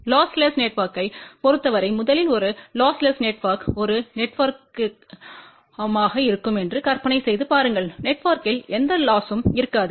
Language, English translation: Tamil, And for lossless network just imagine first a lossless network will be a network where there will be no losses within the network